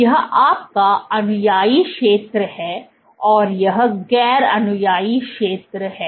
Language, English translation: Hindi, So, this is your adherent zone and this is non adherent zone